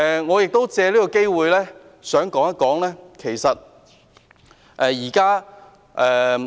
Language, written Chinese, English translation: Cantonese, 我亦想藉此機會說一說產假問題。, I would like to take this chance to talk about maternity leave